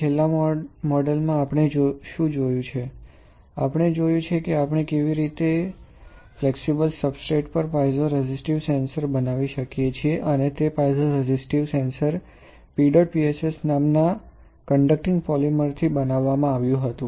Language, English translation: Gujarati, In the last model; what we have seen, we have seen how can we fabricate a piezoresistive sensor on a flexible substrate and that piezoresistive sensor was made out of a conducting polymer called PEDOT PSS right